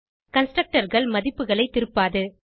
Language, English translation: Tamil, Constructors cannot return values